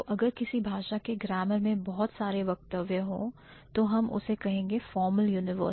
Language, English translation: Hindi, So, if a particular grammar of a particular language has certain statements then we are going to call it formal universals